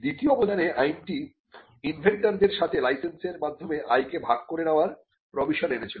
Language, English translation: Bengali, In the second contribution was the Act brought in a provision to share the license income with the inventors